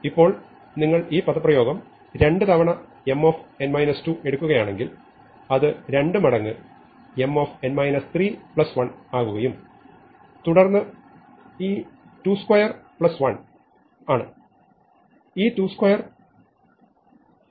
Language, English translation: Malayalam, Now, again if you take this expression M n minus 2 that becomes 2 times M n minus 3 plus 1 and then this 2 square plus 1 is, this 2 square remember is 4